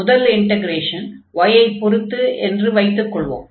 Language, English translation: Tamil, So, this is the first integral, which is taken over y